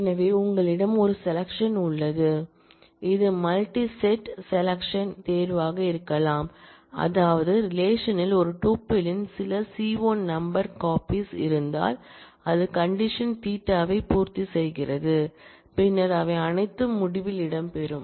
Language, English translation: Tamil, So, you have a selection, which can be multi set selection, which means that, if there are certain c1 number of copies of a tuple in the relation, which satisfy the condition theta then all of them will feature in the result